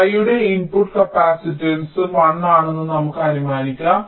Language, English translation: Malayalam, lets assume that the input capacitance of y is also one